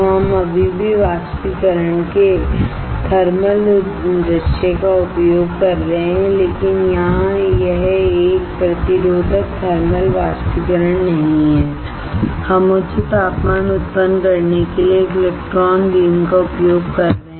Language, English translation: Hindi, We are still using the thermal view of evaporating, but here it is not a resistive thermal evaporation, we are using a electron beam to generate the high temperature